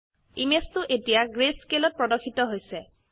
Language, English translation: Assamese, Image 2 is now displayed in greyscale